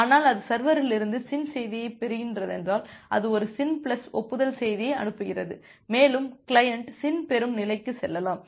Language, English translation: Tamil, But if it is just getting the SYN message from the server, it sends a SYN plus acknowledgement message and the client can also move to the SYN receive state